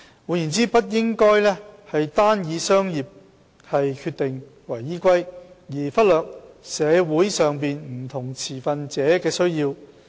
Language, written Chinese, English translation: Cantonese, 換言之，不應該單以商業決定為依歸，而忽略社會上不同持份者的需要。, In other words its decisions should not be based solely on business considerations to the neglect of the needs of various stakeholders in society